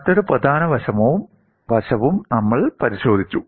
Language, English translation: Malayalam, And another important aspect also we looked at